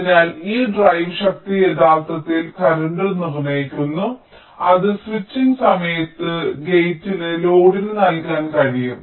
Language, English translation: Malayalam, ok, so this drive strength actually determines the current which the gate can provide to the load during switching